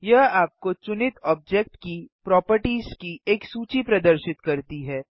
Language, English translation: Hindi, It shows you a list of the properties of the selected object